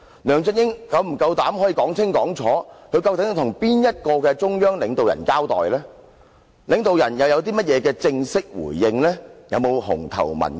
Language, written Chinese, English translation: Cantonese, 梁振英是否夠膽清楚說明，他究竟是向哪位中央領導人交代，而領導人又有何正式回應，有否"紅頭文件"？, Does LEUNG Chun - ying have the guts to specify which state leaders he had reported to what official response had been given and whether there is any official document?